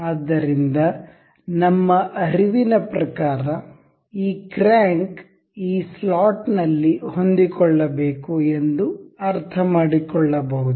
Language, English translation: Kannada, So, we can intuitively understand that this crank is supposed to be fit in this slot